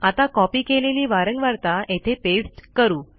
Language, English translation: Marathi, Now I have copied the frequency , so let me paste it here